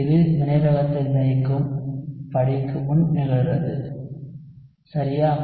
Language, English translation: Tamil, So it occurs before the rate determining step alright